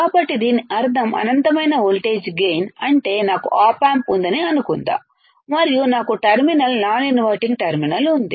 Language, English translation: Telugu, So, that mean that what does it mean infinite voltage gain means suppose I have a op amp suppose I have op amp and I have inverting terminal non inverting terminal right